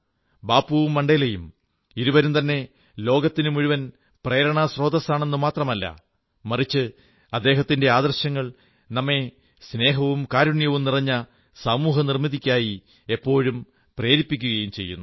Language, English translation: Malayalam, Both Bapu and Mandela are not only sources of inspiration for the entire world, but their ideals have always encouraged us to create a society full of love and compassion